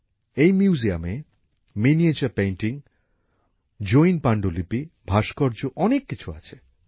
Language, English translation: Bengali, This museum has miniature paintings, Jaina manuscripts, sculptures …many more